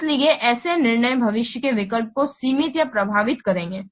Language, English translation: Hindi, So such decisions will limit or affect the future options